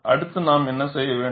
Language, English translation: Tamil, What we have to do next